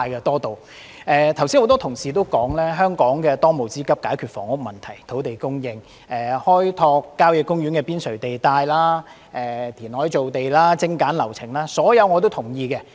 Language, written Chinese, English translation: Cantonese, 多位同事剛才也指出，香港的當務之急是解決房屋問題、土地供應、開拓郊野公園邊陲地帶、填海造地及精簡流程等，這些我全都同意。, As many colleagues have just pointed out the most pressing tasks for Hong Kong are to resolve housing problems increase land supply develop the periphery of country parks carry out reclamation and streamline relevant processes all of which I agree with